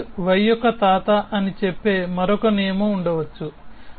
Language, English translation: Telugu, May be there is another rule which says that grandfather of x y